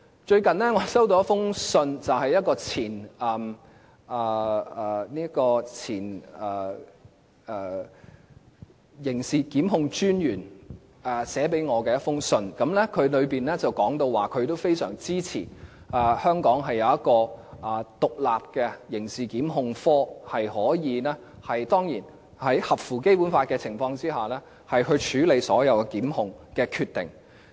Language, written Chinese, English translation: Cantonese, 最近我接獲一封由前刑事檢控專員寫給我的信件，當中提到他非常支持香港設立一個獨立的刑事檢控科，在合乎《基本法》的情況下處理所有檢控的決定。, Recently I received a letter from a former Director of Public Prosecutions who said in the letter that he strongly supported the idea of establishing an independent criminal prosecutions division in Hong Kong to handle all prosecution decisions in a manner that accords with the Basic Law